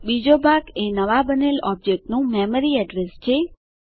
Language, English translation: Gujarati, The second part is the memory address of the new object created